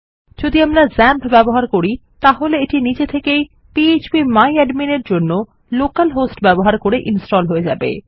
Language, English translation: Bengali, If you are using xampp then it will be installed by default using the local host for php my admin